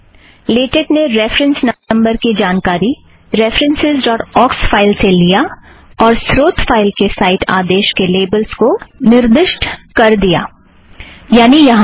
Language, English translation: Hindi, What LaTeX has done is to take the reference number information from references.aux and assign to the labels of the cite command in the source file namely these from here